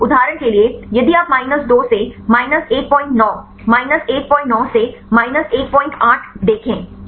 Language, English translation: Hindi, For example, if you see minus 2 to minus 1